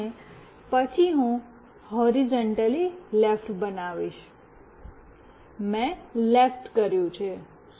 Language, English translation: Gujarati, And then I will make horizontally left, I have done to the left side